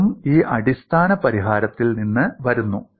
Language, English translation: Malayalam, That also comes from this basic solution